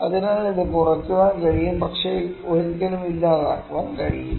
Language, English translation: Malayalam, So, this can be reduced, but never can be eliminated